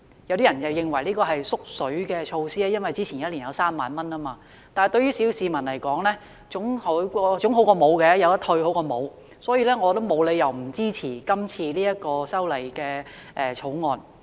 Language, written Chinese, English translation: Cantonese, 雖然有人認為這是"縮水"措施，因為前一年的上限是3萬元，但對小市民而言，可以退稅總比沒有退稅好，故此我沒有理由不支持這項《條例草案》。, Some people consider this a shrunken measure because the ceiling in the previous year was 30,000 but to the petty masses a tax reduction is better than none . Hence there is no reason for me not to support this Bill